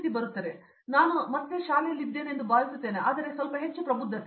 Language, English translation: Kannada, So, I am feeling right now as I am in school again, but with little bit more maturity